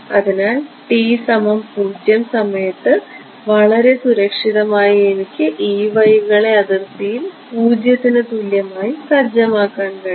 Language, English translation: Malayalam, So, at time t is equal to 0 very safely I can set the E ys on the boundary to be equal to 0 right